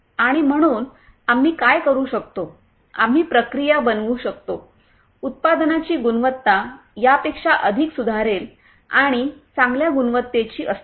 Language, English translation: Marathi, And so what we can do is we can make the processes, the quality of the products in turn much more improve and of better quality